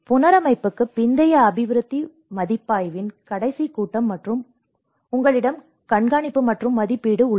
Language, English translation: Tamil, And the last phase of post reconstruction development review and you have the monitoring and evaluation